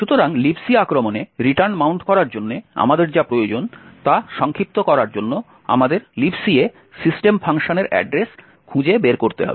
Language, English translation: Bengali, So to summarize what we need to mount a return to LibC attack is as follows, we need to find the address of the system function in your LibC